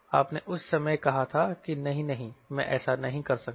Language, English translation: Hindi, at that point you said no, no, i cannot do that